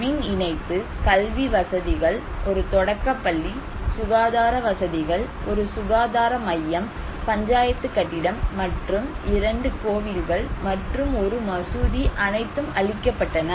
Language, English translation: Tamil, The electricity line, educational facilities, one primary school, health facilities, one health centre, Panchayat building and two temples and one mosque were all destroyed